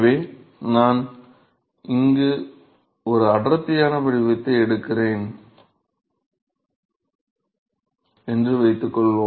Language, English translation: Tamil, So, suppose I take a density profile here